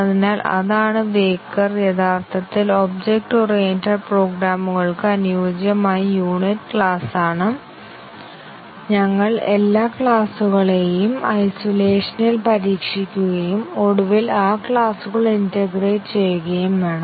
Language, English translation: Malayalam, So, that is Weyukar, actually the suitable unit for object oriented programs is class, we need to test all classes in isolation and then finally, integrate those classes